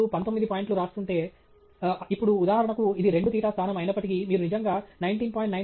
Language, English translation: Telugu, If you are write nineteen point… now, for example, although this is two theta position, if you actually write 19